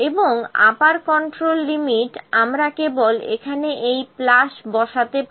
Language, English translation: Bengali, And the upper control limit that we will we can have we can just put this plus here